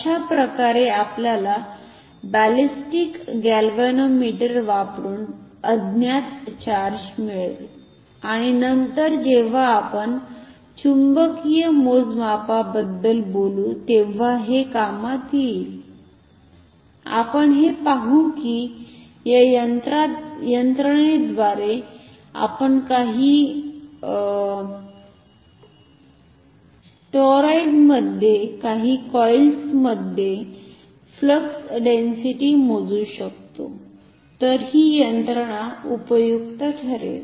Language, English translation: Marathi, So, this is how we can find the value of unknown charge using ballistic galvanometer and this will be important later on when we talk about magnetic measurements, we will see that with this we can with this mechanism we can measure flux density in some coil in some toroid, then this mechanism will be useful